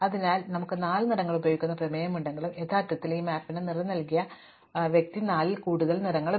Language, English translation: Malayalam, So, though we have a theorem that we can use four colors, in actual practice the person who has colored this map has used many more than four colors